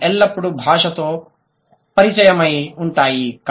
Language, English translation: Telugu, They have always been language contact